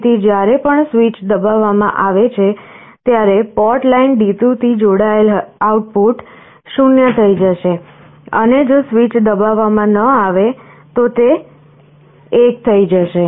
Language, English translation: Gujarati, So, whenever switch is pressed the switch output, which is connected to port line D2, will become 0, and if the switch is not pressed, it will be 1